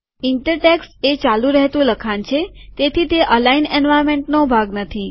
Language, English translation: Gujarati, Inter text is like running text, so this is not part of the align environment